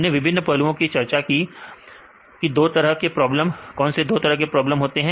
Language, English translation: Hindi, So, we discussed various aspects; two different types of problems, what are the two different types of problems